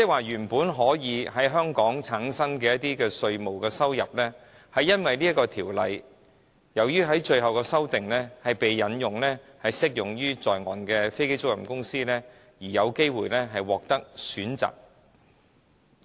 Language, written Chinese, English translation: Cantonese, 原本可以在香港產生的稅務收入，卻由於《條例草案》最終的修訂須適用於在岸的飛機租賃公司，而讓它們有機會獲得選擇。, While tax revenues generated from onshore aircraft leasing activities are originally chargeable to tax in Hong Kong these companies are now given a choice as a result of the final amendments to the Bill which propose to extend the scope of the tax concessions to cover onshore businesses